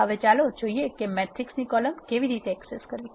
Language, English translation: Gujarati, Now, let us see how to access a column of a matrix